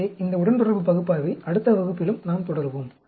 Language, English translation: Tamil, So, we will continue on this regression analysis in the next class also